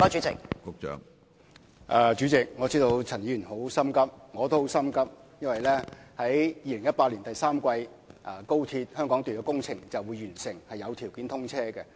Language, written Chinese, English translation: Cantonese, 主席，我知道陳議員很心急，我同樣也很心急，因為2018年第三季高鐵香港段工程便會完成和開始有通車條件。, President I know that Ms CHAN is very anxious . So am I given that the Hong Kong section of XRL will be completed and commissioned conditionally in the third quarter of 2018